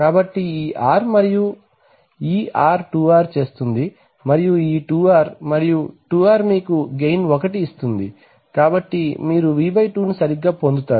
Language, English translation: Telugu, So this R and this R will make 2R and this 2R and 2R will give you a gain of 1, so you get V/2 right